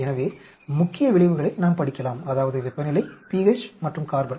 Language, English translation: Tamil, So, that will, we can study the main effects that is temperature, pH and carbon